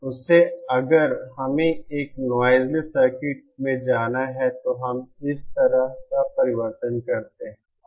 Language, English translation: Hindi, From that if we have to go to a noise less circuit, then we make a transformation like this